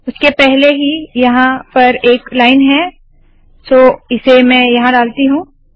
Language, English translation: Hindi, Before this I already have the line here so let me just put this here